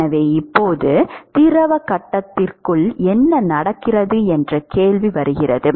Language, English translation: Tamil, So, now, comes the question of what happens inside the fluid phase